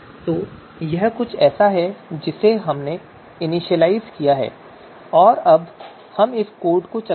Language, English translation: Hindi, So that is something that we have initialized, so let us run this code